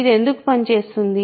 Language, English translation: Telugu, Why does it work